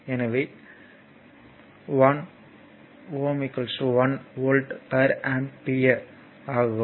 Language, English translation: Tamil, So, one ohm is equal to 1 volt per ampere